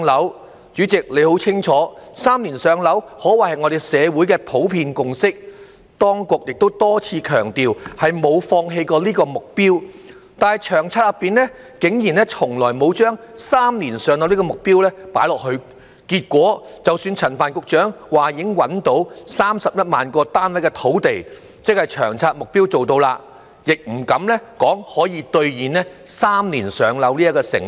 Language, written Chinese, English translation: Cantonese, 代理主席，你很清楚"三年上樓"可謂是社會的普遍共識，當局亦多次強調沒有放棄這個目標，但《長策》內竟然從來沒有"三年上樓"的目標，結果是即使陳帆局長說已找到31萬個單位的土地，即《長策》目標做到了，也不敢說可以兌現"三年上樓"這個承諾。, Deputy President as you know very well three - year waiting time for PRH allocation is a general consensus of the community and the authorities have repeatedly stressed that they have not given up this target . However the target of three - year waiting time for PRH allocation has never been incorporated in LTHS . As a result even though Secretary Frank CHAN said that land had been identified for developing 310 000 units which means achieving the target of LTHS he dared not say that the pledge of three - year waiting time for PRH allocation can be fulfilled